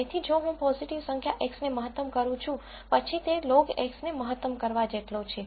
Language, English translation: Gujarati, So, if I am maximizing a positive number X, then that it is equivalent to maximising log of X also